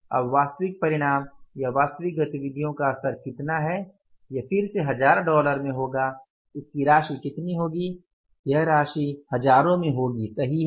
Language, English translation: Hindi, Now actual results at the actual activity level is how much that will again be in say you can call it as thousands the amount will be how much it is in the amount will be in the amount in thousands